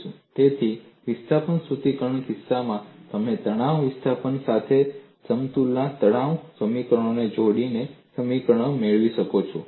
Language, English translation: Gujarati, So, in the case of displacement formulation, you can get the governing equations by combining stress equations of equilibrium with the stress displacement